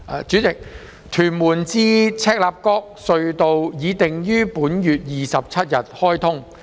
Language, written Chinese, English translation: Cantonese, 主席，屯門至赤鱲角隧道已定於本月27日開通。, President the Tuen Mun - Chek Lap Kok Tunnel is scheduled to be commissioned on the 27 of this month